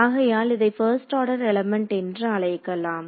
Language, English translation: Tamil, So, we will call this a first order element